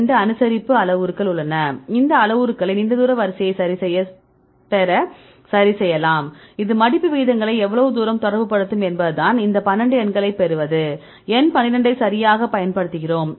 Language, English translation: Tamil, So, you have 2 adjustable parameters you can adjust these parameters to get the long range order and how far this will relate the folding rates this is how we get the numbers 12, right earlier we use number 12 right